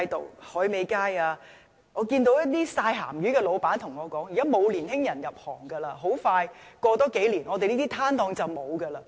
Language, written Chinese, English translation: Cantonese, 在海味街，有一些曬鹹魚的老闆跟我說，現在沒有年輕人入行，再過數年，這些攤檔很快便會消失。, In the streets selling dried seafood some stall operators drying salted fish told me that young people did not join the trade and after a few years those stalls would disappear